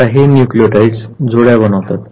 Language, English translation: Marathi, Now, what happens that these nucleotides they form pairs